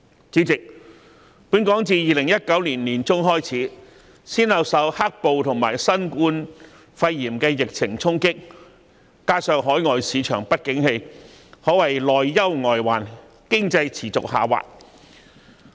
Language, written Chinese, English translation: Cantonese, 主席，本港自2019年年中開始，先後受"黑暴"和新冠肺炎疫情衝擊，加上海外市場不景氣，可謂內憂外患，經濟持續下滑。, President since mid - 2019 Hong Kong has been impacted by black - clad riots followed by the COVID - 19 epidemic coupled with the downturn in overseas markets our economy has continued its downward movement in the face of both internal and external pressure